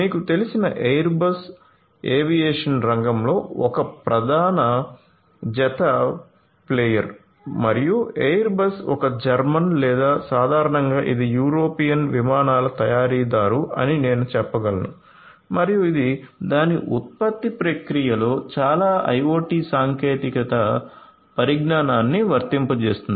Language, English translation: Telugu, So, Airbus as you know is a major pair player in the aviation sector and airbus is German and German or in general I can tell the it is an European aircraft manufacturer and it applies lot of IoT technologies in it’s production process